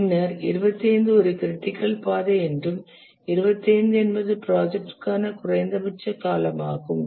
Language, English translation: Tamil, Then 25 is called as a critical path and 25 is the minimum duration for the project